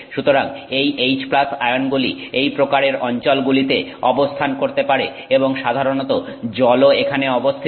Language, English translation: Bengali, So, these H plus ions seem to be located in this kind of region and water is also typically present here